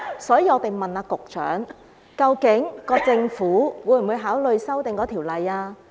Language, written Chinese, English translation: Cantonese, 所以，我們問局長，究竟政府會否考慮修訂《條例》？, As such we ask the Secretary whether the Government will consider amending the Ordinance